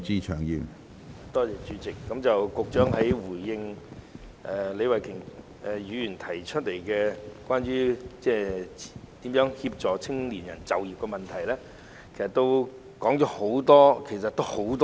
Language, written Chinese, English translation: Cantonese, 主席，局長在回應李慧琼議員有關協助青年人就業的主體質詢時，在答覆中說了很多。, President in response to Ms Starry LEEs main question on assisting young people in securing employment the Secretary has said a lot in his reply